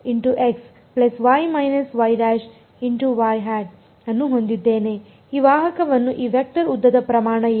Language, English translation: Kannada, What is the norm of this vector length of this vector